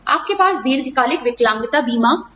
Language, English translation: Hindi, You could have a long term disability insurance